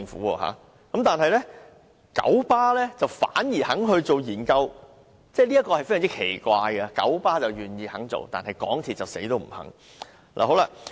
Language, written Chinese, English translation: Cantonese, 港鐵公司不肯做，但九巴反而肯進行研究，這點非常奇怪，九巴願意做，但港鐵公司卻堅決不肯。, While MTRCL refuses to conduct a study the Kowloon Motor Bus Company KMB is willing to study the possibility of allowing animals on board its buses . Oddly KMB is willing to conduct a study but MTRCL refuses adamantly